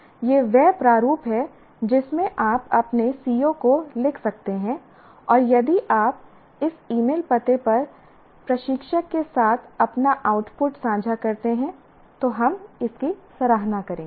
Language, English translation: Hindi, So, this is a format in which you can write your COs and we would appreciate if you share your your output with the instructor at this email address